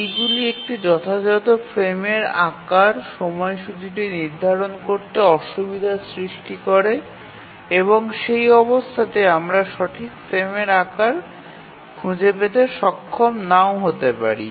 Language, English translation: Bengali, This make it difficult for setting the schedule and we may not be able to find the correct frame size